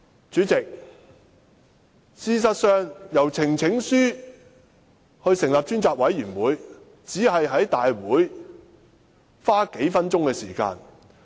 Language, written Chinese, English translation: Cantonese, 主席，事實上通過提交呈請書成立專責委員會，只在大會花數分鐘時間。, President presenting a petition to form a select committee will only take a few minutes in a Council meeting